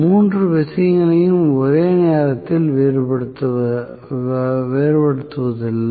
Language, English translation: Tamil, We do not to vary all 3 things at a time